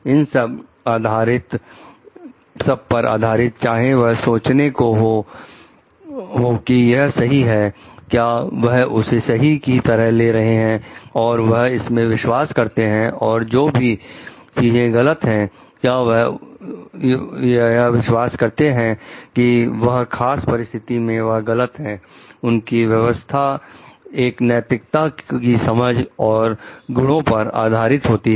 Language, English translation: Hindi, And based on that, whatever they think to be right is they take it to be right and they believe in that and whatever the thing to be wrong is they believe it to be wrong in a particular situation, based on the virtues and their understanding of their professional ethics